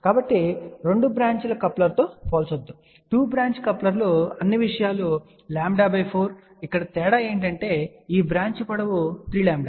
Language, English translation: Telugu, So, do not compare with the 2 branches coupler; 2 branch couplers had all the things as lambda by 4 here the difference is this branch length is 3 lambda by 4